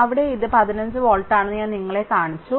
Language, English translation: Malayalam, I showed you that here it is 15 volt right